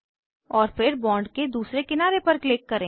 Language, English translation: Hindi, Then click other edge of the bond